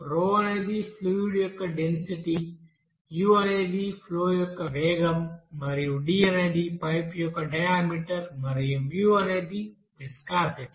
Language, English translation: Telugu, Rho is the density of the fluid, u is the velocity of the flow and also d is the diameter of the pipe and mu is the you know viscosity